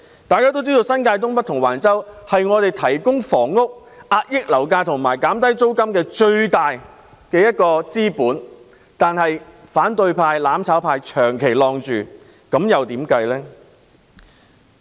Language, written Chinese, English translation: Cantonese, 大家都知道，新界東北及橫洲是提供房屋、遏抑樓價及減低租金的最大資本，但反對派、"攬炒派"長期阻礙有關發展。, We all know that Northeast New Territories and Wang Chau are crucial to providing housing curbing property prices and reducing rents but the opposition camp and the mutual destruction camp have all along impeded the relevant development